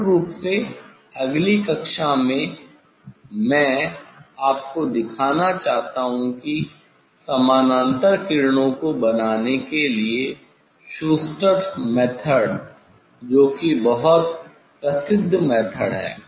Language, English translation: Hindi, in next class basically, I would like to show you the Schuster s method is very famous method to make the parallel rays